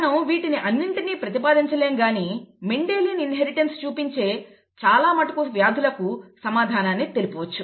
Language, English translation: Telugu, We cannot apply it blindly to everything but we can apply it to large number of diseases that show Mendelian inheritance, okay